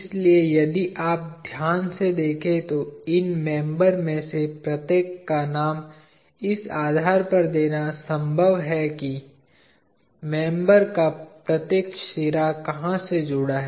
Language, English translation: Hindi, So, if you notice carefully it is possible to name every one of these members depending on where each of the ends of the members are joined